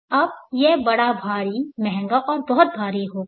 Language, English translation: Hindi, Now this will be big bulky expensive and very heavy